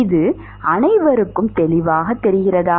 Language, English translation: Tamil, Is that clear to everyone